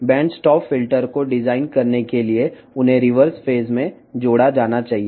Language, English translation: Telugu, To design the band stop filter, they should be added in reverse phase